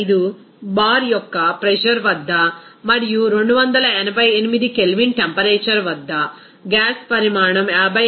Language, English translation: Telugu, 95 bar and at a temperature of 288 K, the volume of the gas will be occupied as 56